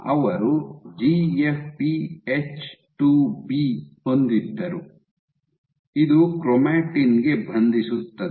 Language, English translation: Kannada, So, they had GFP H2B, this binds to chromatin